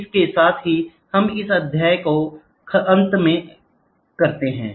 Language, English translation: Hindi, With this we come to an end to this chapter